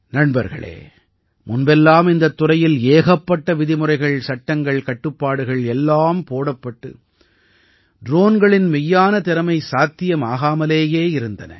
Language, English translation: Tamil, Friends, earlier there were so many rules, laws and restrictions in this sector that it was not possible to unlock the real capabilities of a drone